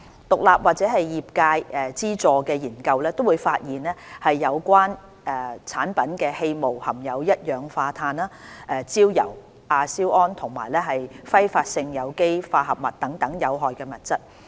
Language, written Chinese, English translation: Cantonese, 獨立或業界資助的研究均發現有關產品的氣霧含有一氧化碳、焦油、亞硝胺和揮發性有機化合物等有害物質。, Independent or industry - funded studies have found that the aerosol of these products contains harmful substances such as carbon monoxide tar nitrosamines and volatile organic compounds